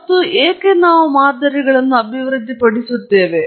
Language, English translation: Kannada, And why do we develop models